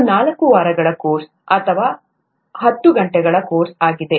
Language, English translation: Kannada, This is a four week course or a ten hour course